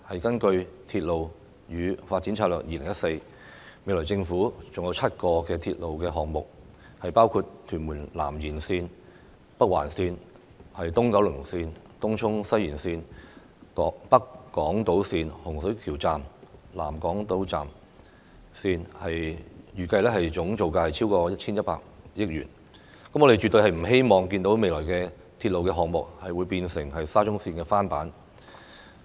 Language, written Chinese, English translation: Cantonese, 根據《鐵路發展策略2014》，未來政府還有7個鐵路項目，包括屯門南延線、北環線、東九龍線、東涌西延線、北港島線、洪水橋站和南港島線，預計總造價超過 1,100 億元，我們絕對不希望未來的鐵路項目成為沙中線的翻版。, According to Railway Development Strategy 2014 the Government will implement seven railway projects in the future including Tuen Mun South Extension Northern Link East Kowloon Line Tung Chung West Extension North Island Line Hung Shui Kiu Station and South Island Line which are expected to cost more than 110 billion . We definitely do not want the future railway projects to be reruns of SCL